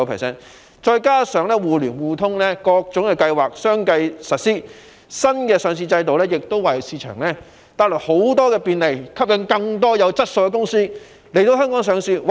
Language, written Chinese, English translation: Cantonese, 再加上多項金融"互聯互通"的計劃相繼實施，新的上市制度為市場帶來很多便利，吸引更多有質素的公司來港上市。, Coupled with the successive implementation of a number of financial schemes to enhance connectivity the new listing system has brought a lot of convenience to the market and attracted more quality companies to seek listing in Hong Kong